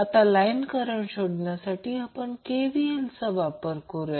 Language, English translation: Marathi, Now let us apply KVL to find out the line current